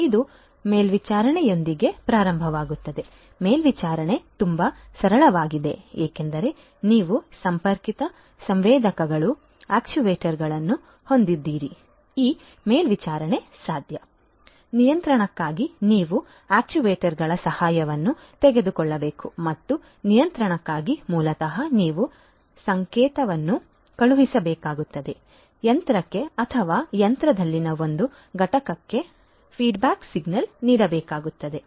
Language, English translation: Kannada, So, you know it is starts with monitoring, monitoring is very simple because you know if you have the you know connected sensors, actuators it is you know just the sensors you know if you have connected sensors then this monitoring would be possible, for the control you need to take help of the sensor of the actuators and for the control basically you need to send a signal a feedback signal back to the machine or a component in the machine